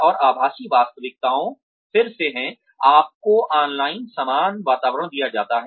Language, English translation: Hindi, And, virtual reality is again,you are given a similar environment online